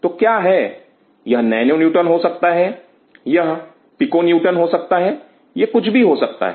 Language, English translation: Hindi, So, what is it could be nano Newton, it could be Pico Newton, it could be whatever